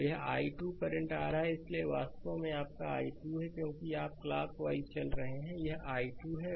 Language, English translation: Hindi, So, this i 2 current is coming, so this is actually your i 2, because, you are moving clock wise this is i 2 right